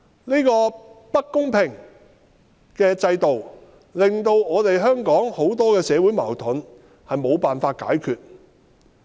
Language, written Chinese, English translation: Cantonese, 這個不公平的制度，導致香港許多社會矛盾無法解決。, Such an unfair system has made it impossible to solve so many social conflicts in Hong Kong